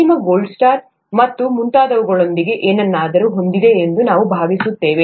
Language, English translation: Kannada, I think the final one has something to do with the gold star and so on